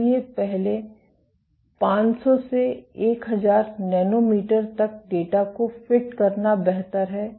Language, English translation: Hindi, So, it is better to fit the data to the first 500 to 1000 nanometers